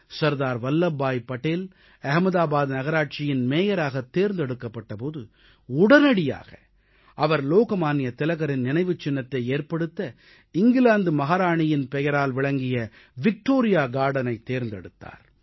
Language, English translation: Tamil, Sardar Vallabh Bhai Patel was elected the Mayor of Ahmedabad municipal corporation and he immediately selected Victoria Garden as a venue for Lok Manya Tilak's memorial and this was the very Victoria Garden which was named after the British Queen